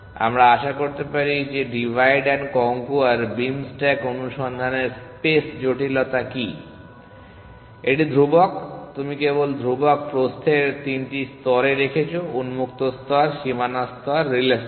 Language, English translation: Bengali, Let us hope what is the space complexity of divide and conquer beam stack search, it is constant you are just keeping three layers of constant width, the open layer, the boundary layer and the relay layer